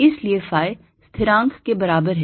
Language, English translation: Hindi, so phi is is equal to constant